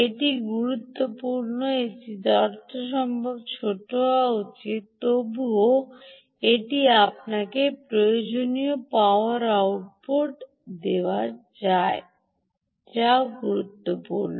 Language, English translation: Bengali, it should be as small as possible, ok, yet it should give you the required power output